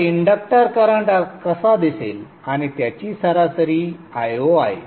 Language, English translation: Marathi, So this is how the inductor current will look like and the average of that is i not